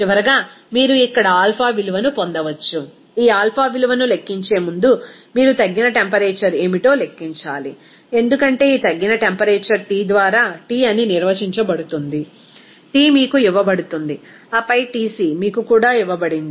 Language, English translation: Telugu, Then finally, you can get what should be the alpha value here, before calculating this alpha value, you have to calculate what is the reduced temperature, because this reduced temperature is defined as T by Tc, T is given to you and then Tc is also given to you